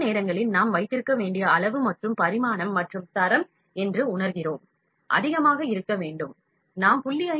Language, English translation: Tamil, Sometimes we feel that the size and dimension as well as quality that we need to keep has to be higher so, we can keep 0